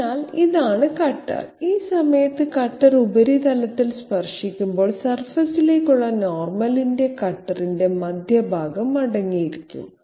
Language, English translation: Malayalam, So this is the cutter, when the cutter is touching the surface at this point the normal to the surface will essentially contain the centre of the cutter okay